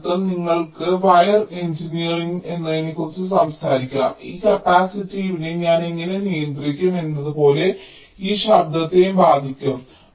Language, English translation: Malayalam, that means you can talk about something called wire engineering, like: how do i control this capacitive affects, then this noise